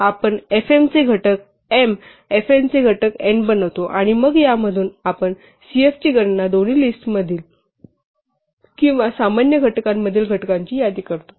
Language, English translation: Marathi, So, we construct fm the factors of m, fn the factors of n, and then from these we compute cf the list of factors in both lists or common factors